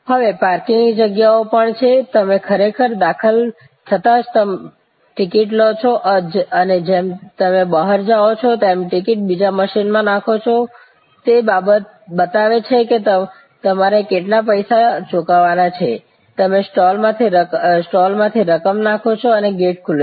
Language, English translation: Gujarati, Even parking lots are now, you actually as you enter you take a ticket and as you go out, you insert the ticket in another machine, it shows how much you have to pay, you put the coins through the slot and the gate opens